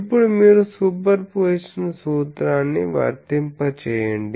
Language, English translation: Telugu, So, then, you apply Superposition principle